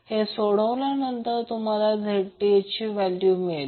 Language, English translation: Marathi, So by solving this you will get the value of Zth